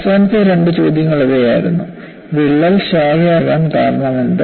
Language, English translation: Malayalam, The last two questions were: what causes the crack to branch